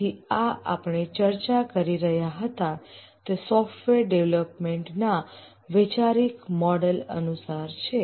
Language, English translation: Gujarati, So this is according to the conceptual model of software development we are discussing